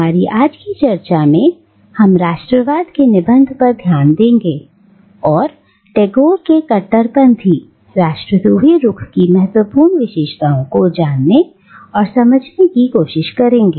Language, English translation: Hindi, In our discussion today, we will be focusing on these essays on nationalism to try and understand some of the major features of Tagore’s radical antinationalist stance